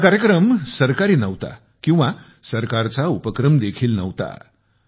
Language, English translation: Marathi, This was not a government programme, nor was it a government initiative